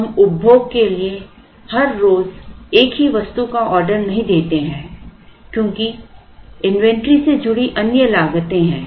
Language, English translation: Hindi, That we do not order the same item everyday for consumption is that there are other costs associated with inventory